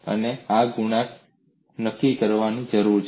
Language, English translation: Gujarati, In these, 4 coefficients need to be determined